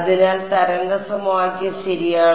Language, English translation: Malayalam, So, this is the vector wave equation ok